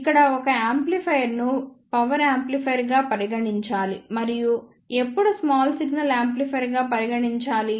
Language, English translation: Telugu, Here the one may say that when a amplifier should be considered as power amplifier and when it should be considered as small signal amplifier